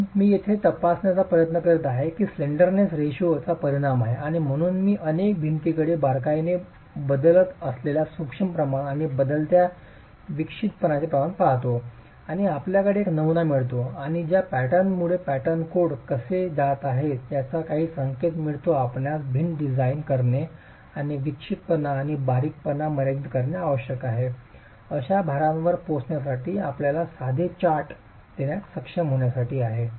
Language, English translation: Marathi, So, what I am trying to examine here is the effect of slendinous ratio and so I look at several walls with changing eccentricity slendinence ratios and changing eccentricity ratios and do we get a pattern and does that pattern give us some indication of how codes are going to be able to give you simple charts for arriving at the load that you must design the wall for and limit eccentricities and slenderness